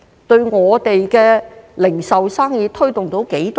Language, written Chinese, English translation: Cantonese, 對我們的零售生意有多少推動呢？, To what extent will this boost our retail business?